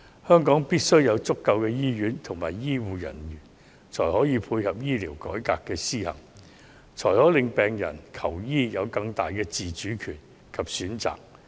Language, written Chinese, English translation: Cantonese, 香港必須有足夠的醫院和醫護人員，才可配合醫療改革的施行，令病人求醫時有更大的自主權及更多選擇。, Hong Kong must have sufficient hospital and healthcare personnel in order to support the implementation of a healthcare reform so that patients can have greater autonomy and more choices when seeking medical treatment